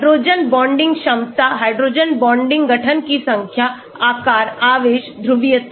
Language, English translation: Hindi, hydrogen bonding capabilities, number of hydrogen bonding formation, shape charge, polarizability